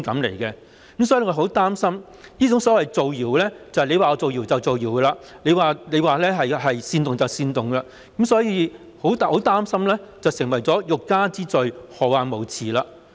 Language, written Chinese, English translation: Cantonese, 我們很擔心這種所謂"造謠"即是他說是造謠就是造謠，他說是煽動就是煽動，很擔心會變成"欲加之罪，何患無辭"。, We are gravely concerned about this kind of so - called spreading rumour . In other words it is spreading rumour and sedition as long as they say so